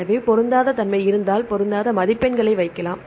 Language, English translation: Tamil, So, if there is a mismatch you can put the mismatch score